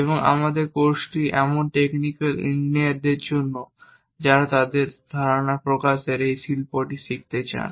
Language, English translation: Bengali, And our course is meant for such technical engineers who would like to learn this art of representing their ideas